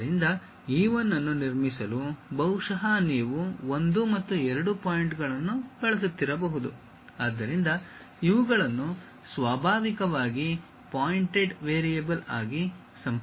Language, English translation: Kannada, So, to construct E 1 perhaps you might be using 1 and 2 points; so, these are naturally connected as a pointed variables